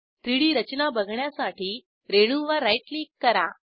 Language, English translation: Marathi, To view the structure in 3D, right click on the molecule